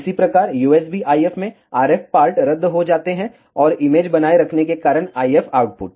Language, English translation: Hindi, Similarly, in the USB IF, the RF parts get cancel out, and the IF output because of the image retain